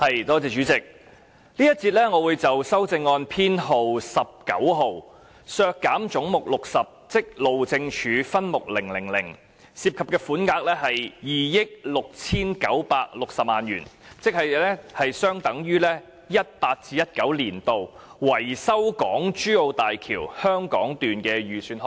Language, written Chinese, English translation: Cantonese, 主席，這節我會就修正案編號 19， 議決削減分目000而將"總目 60― 路政署"削減2億 6,960 萬元，款額大約相當於 2018-2019 年度路政署用於維修港珠澳大橋香港段的預算開支。, Chairman in this section I will speak on Amendment No . 19 which seeks a resolution that Head 60―Highways Department be reduced by 269,600,000 in respect of subhead 000 a sum of money roughly equivalent to the estimated expenditure on maintenance of the Hong Kong section of the Hong Kong - Zhuhai - Macao Bridge HZMB by the Highways Department in 2018 - 2019